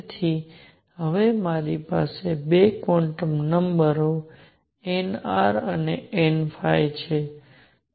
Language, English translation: Gujarati, So, now, I have 2 quantum numbers n r and n phi